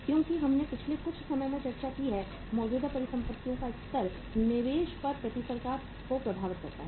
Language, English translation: Hindi, Because we have discussed some time in the past that the level of current assets impacts the return on investment right